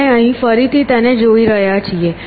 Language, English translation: Gujarati, We have seen here we are again seeing it here